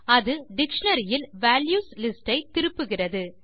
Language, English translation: Tamil, It returned the list of values in the dictionary